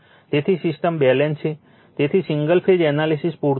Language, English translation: Gujarati, So, system is balanced, so single phase analysis is sufficient